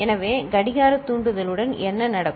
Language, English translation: Tamil, So, with clock trigger what will happen